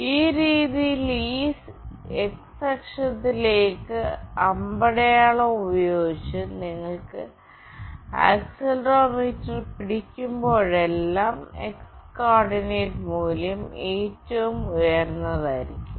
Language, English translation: Malayalam, Whenever you hold this accelerometer with the arrow towards this x axis in this fashion, then the x coordinate value will be the highest